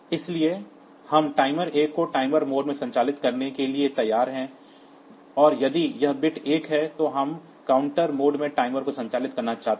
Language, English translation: Hindi, So, we are willing to operate timer 1 in the timer mode, and if this bit is 1 we want to operate the timer in the counter mode